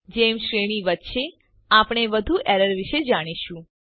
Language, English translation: Gujarati, As the series progresses, we will learn more about the errors